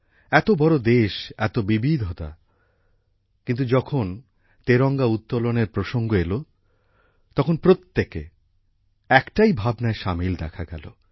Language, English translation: Bengali, Such a big country, so many diversities, but when it came to hoisting the tricolor, everyone seemed to flow in the same spirit